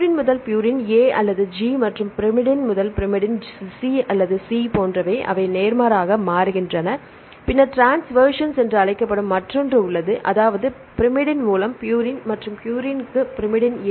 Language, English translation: Tamil, Purine to purine; like A or G right and pyrimidine to pyrimidine C or C right they change vice versa, then there is another called transversions so; that means, purine by pyrimidine and the pyrimidine to purine why they give the penalty of minus 5 and minus 1